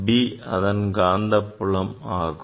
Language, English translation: Tamil, B H is the earth magnetic field